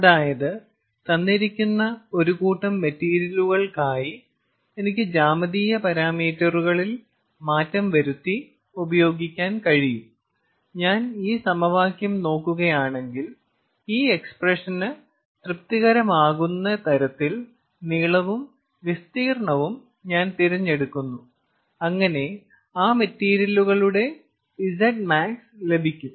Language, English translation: Malayalam, ok, so for a given set of materials, i can play around with the geometric parameters and if i satisfy this equation, i choose the length and area such that this equation, this expression is satisfied, i get the z max for that set of materials